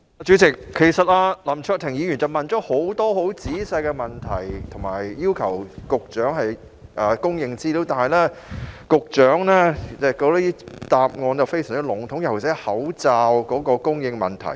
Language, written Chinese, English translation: Cantonese, 主席，其實林卓廷議員提出了許多很仔細的問題，並要求局長提供資料，但局長的答覆卻非常籠統，尤其是關於口罩供應的問題。, President Mr LAM Cheuk - ting has actually raised a number of detailed questions and requested the Secretary to provide information but the reply of the Secretary is very general particularly when he touches upon the supply of masks